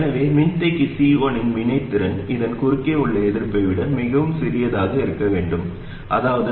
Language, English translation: Tamil, So we want the reactants of the capacitor C1 to be much smaller than the resistance across it, which is RS plus R1 parallel R2